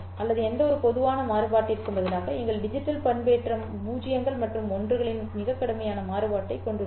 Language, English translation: Tamil, Instead of having any general variation, our digital modulations have a very strict variation of zeros and ones